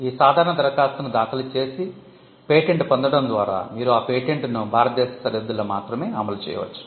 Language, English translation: Telugu, By getting an ordinary application, you can only enforce the patent within the boundaries of India